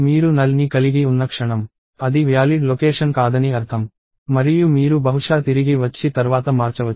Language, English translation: Telugu, So, the moment you have null, it means that it is not valid location and you will probably come back and change it later